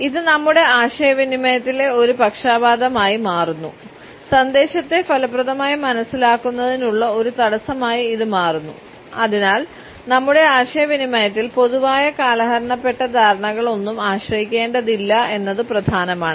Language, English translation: Malayalam, It becomes a bias in our communication, becomes a barrier in effective understanding of the message and therefore, it is important that in our communication we do not rely on any understanding which is rather clichéd